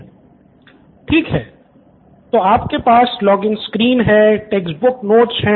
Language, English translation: Hindi, Okay, so you have login screen, okay textbook notes